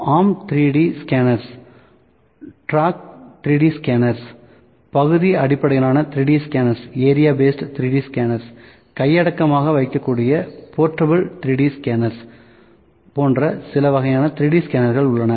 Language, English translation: Tamil, There are certain kinds of 3D scanners we have measuring arm 3D scanners, tracked 3D scanners, area based 3D scanners, portable 3D scanner, portable 3D scanner it could be held in hand